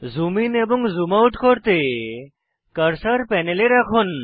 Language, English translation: Bengali, To zoom in and zoom out, place the cursor on the panel